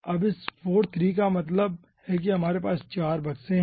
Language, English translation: Hindi, now this 4: 3 means we are having 4 boxes